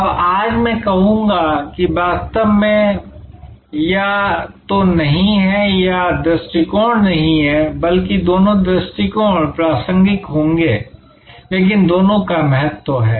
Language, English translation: Hindi, Now, today I would say that actually these are not to either or approaches, but rather both approaches will be relevant, but the importance of the two